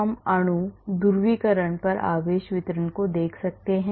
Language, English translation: Hindi, We can look at the charge distribution on the molecule, polarizability